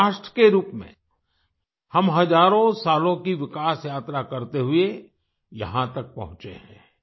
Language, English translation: Hindi, As a nation, we have come this far through a journey of development spanning thousands of years